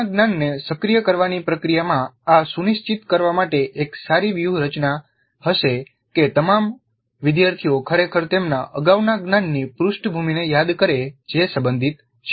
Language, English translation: Gujarati, In the process of the activation of the previous knowledge, this would be a good strategy to ensure that all the students really recall their previous knowledge background which is relevant